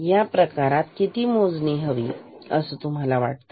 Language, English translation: Marathi, In this case, how many count do you expect